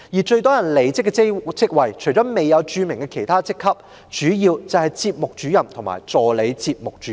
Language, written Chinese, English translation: Cantonese, 最多人離職的職位，除了未有註明的其他職級外，主要就是節目主任和助理節目主任。, Except for other positions which were not specified the posts with the greatest turnover were mainly Programme Officer and Assistant Programme Officer